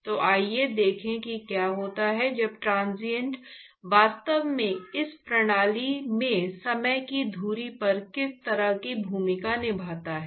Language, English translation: Hindi, So, let us see what happens when the transient actually what kind of role that this time axis place in these kinds of system